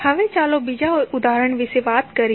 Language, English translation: Gujarati, Now, let us talk about another example